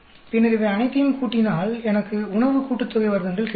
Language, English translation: Tamil, Then add all these I will get food sum of squares